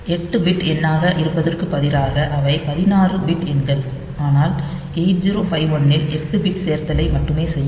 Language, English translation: Tamil, So, instead of being 8 bit number they are 16 bit numbers, but 8 0 5 1 will do 8 bit addition only